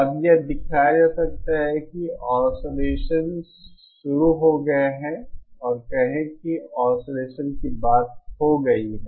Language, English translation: Hindi, Now it can be shown you know so once so the oscillation has started and say the point of oscillation has been reached